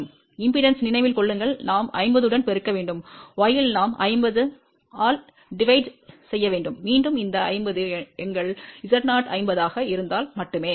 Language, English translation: Tamil, Remember in impedance, we have to multiply with 50 and in y we have to divided by 50 and again this 50 is only because our Z 0 was 50